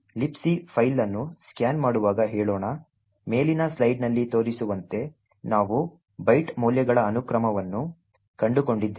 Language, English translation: Kannada, Let us say while a scanning the libc file we found a sequence of byte values as follows